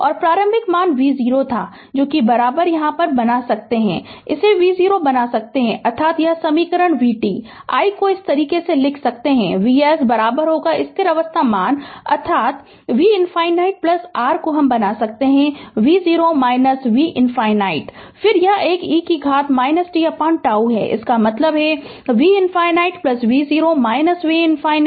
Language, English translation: Hindi, And initial value V 0 was is equal to I can make it V 0 right that means, this equation V t, I can write like this this V s is equal to steady state value, that is V infinity plus I can make V 0 minus V infinity right, then your ah then your ah this one e to the power minus t by tau